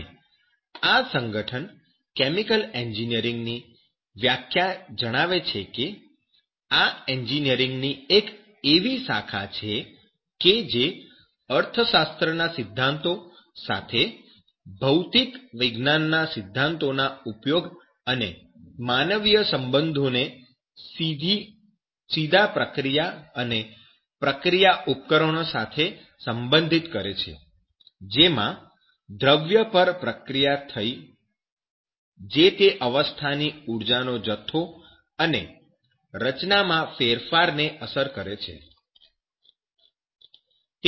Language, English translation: Gujarati, And the organization states this definition of the chemical engineering as the branch of engineering which deals with the application of principles of the physical sciences together with the principles of economics, and human relations to field that pertains directly to process and process equipment in which matter is treated to effect a change in state energy content and also composition